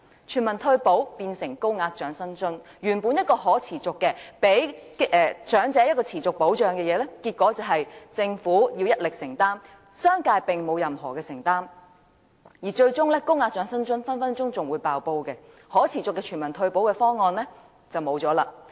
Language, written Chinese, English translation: Cantonese, 全民退休保障變成高額長者生活津貼，原本提供予長者的持續保障，結果變成政府一力承擔，商界並沒有任何承擔，而最終高額長者生活津貼隨時會"爆煲"，可持續的全民退休保障方案就沒有了。, Universal retirement protection is replaced by a higher tier of Old Age Living Allowance OALA . The continuous assistance that should be provided to the elderly is now solely financed by the Government . Without the support from the business sector the Government may eventually be unable to finance the higher tier of OALA and the sustainable universal retirement protection will never be implemented